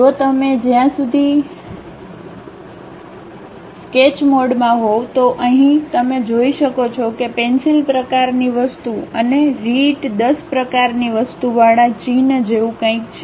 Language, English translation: Gujarati, If you as long as you are in sketch mode, here you can see that there is something like a icon with pencil kind of thing and writ10 kind of thing